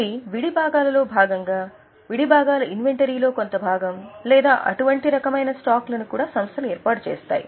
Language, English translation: Telugu, They would also be forming part of spare parts, part of inventory of spare parts or such type of stocks